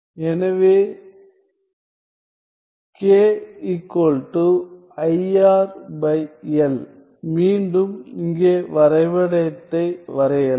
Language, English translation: Tamil, So, k equals i R by L again let me draw the diagram here